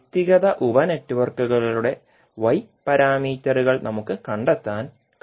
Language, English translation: Malayalam, Now we have got Y parameters of individual sub networks, what we can do